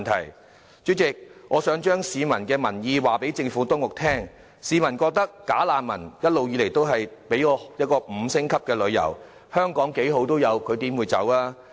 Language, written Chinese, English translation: Cantonese, 代理主席，我想將市民的意願告訴政府當局，市民覺得"假難民"一直以來都在香港享受 "5 星級旅遊"："香港幾好都有，他們怎捨得走"？, Deputy President I want to tell the Administration how the public feel . They feel that the bogus refugees have been enjoying a five - star journey in Hong Kong When Hong Kong is such a nice place to them why do they want to leave?